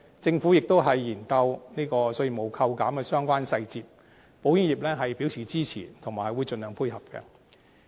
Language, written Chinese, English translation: Cantonese, 政府亦研究稅務扣減的相關細節，保險業表示支持，以及會盡量配合。, For the government study on the details relating to tax reductions the insurance industry has indicated its support and will cooperate as far as possible